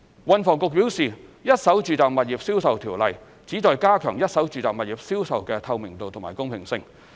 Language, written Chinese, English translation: Cantonese, 運房局表示，《一手住宅物業銷售條例》旨在加強一手住宅物業銷售的透明度及公平性。, THB advised that the Residential Properties Ordinance aims at enhancing the transparency and fairness in the sales of first - hand residential properties